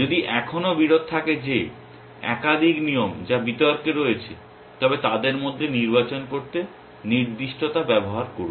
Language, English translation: Bengali, If there is still conflict that is more than one rule which is in contention then use specificity to choose between them essentially